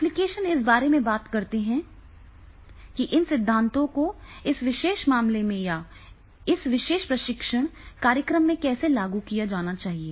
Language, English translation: Hindi, Applications, how should these principles be applied in this particular case or in this particular training program